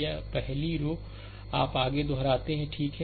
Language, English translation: Hindi, This first 2 row you repeat further, right